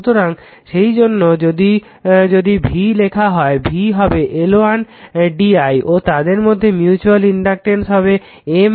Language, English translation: Bengali, So, that is why first if you write the V V is equal to it will be L 1 d I and their mutual inductor between them is M right